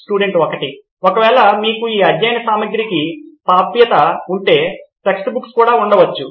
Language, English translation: Telugu, Just in case if you have access to these study materials there can be text books also